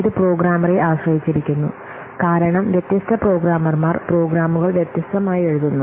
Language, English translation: Malayalam, Similarly, it is programmer dependent because different programmers will write the program programs differently